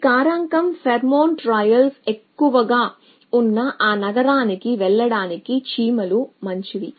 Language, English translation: Telugu, This factor says the ants likely to follow that to good go to that city on which the pheromone trails is higher